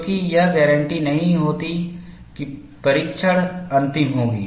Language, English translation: Hindi, Because, it does not guarantee that the test would be final